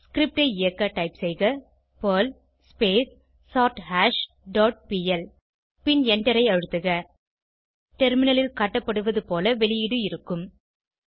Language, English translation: Tamil, Execute the script by typing perl sortHash dot pl and Press Enter The output will be as shown on the terminal